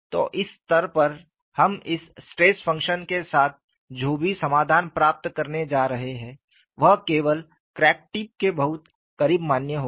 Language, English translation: Hindi, So, at this stage, whatever the solution we are going to get with this, stress function would be valid only very close to the crack tip